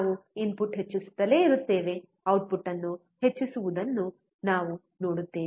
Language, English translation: Kannada, We keep on increasing input; we see keep on increasing the output